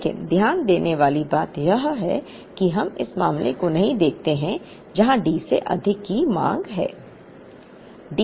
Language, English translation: Hindi, But, the more important thing to note is that, here we do not look at case where the demand exceeds D